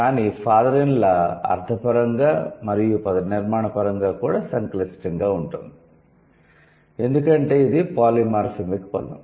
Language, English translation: Telugu, But father in law, it is semantically complex, morphologically also complex, because it is a polymorphemic word